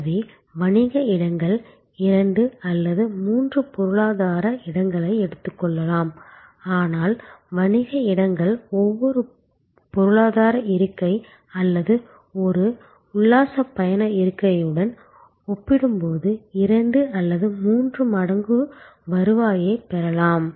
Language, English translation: Tamil, So, the business seats may take this space of two or three economy seats, but the business seats can fetch double or triple the revenue compare to an economy seat or an excursion economy seat